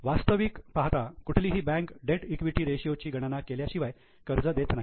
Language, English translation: Marathi, In fact, no loan is granted by any bank unless they calculate debt equity ratio